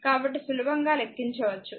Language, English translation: Telugu, So, you can easily compute